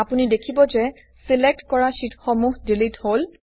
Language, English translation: Assamese, You see that the selected sheets get deleted